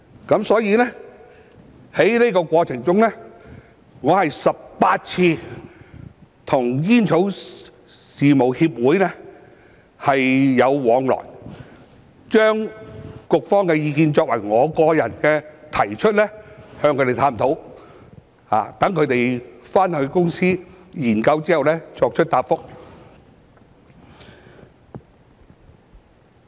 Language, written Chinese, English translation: Cantonese, 因此，在過程中，我有18次跟煙草事務協會往來，由我個人向他們提出局方的意見，與他們探討，待他們回公司研究後作出答覆。, Therefore in the process I had 18 exchanges with the Coalition on Tobacco Affairs during which I personally presented the Bureaus views to them and examine such views with them and then they would give their replies after studying those views when they went back to their companies